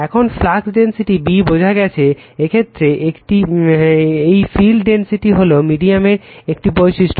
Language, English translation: Bengali, Now, the flux density B is established by this field intensity right is a property of the medium